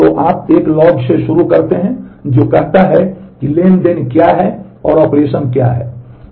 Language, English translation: Hindi, So, you start with a log which says that what is the transaction and what is the operation